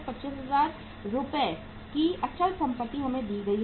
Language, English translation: Hindi, 125,000 worth of rupees fixed assets are given to us